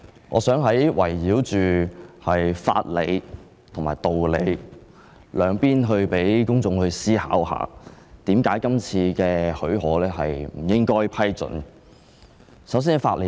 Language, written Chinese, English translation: Cantonese, 我想圍繞着法理和道理兩方面發言，讓公眾思考為何不應給予許可。, I would like to talk about legal principles and reason to facilitate the public considering why special leave should not be given